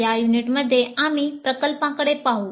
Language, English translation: Marathi, In this unit we look at the projects